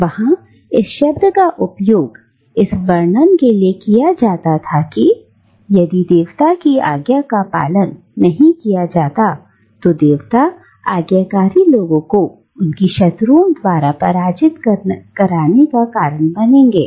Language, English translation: Hindi, And there it is used to describe how if the commandments of the god is not followed then the god will cause the disobedient people to be defeated by their enemy